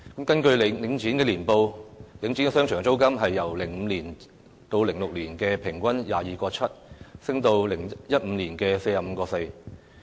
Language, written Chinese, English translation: Cantonese, 根據領展的年報，領展商場租金由 2005-2006 年度平均每呎 22.7 元，升至2015年的 45.4 元。, According to the annual reports of Link REIT the shop rental in the shopping malls of Link REIT increased from 22.7 per square foot in 2005 - 2006 to 45.4 per square foot in 2015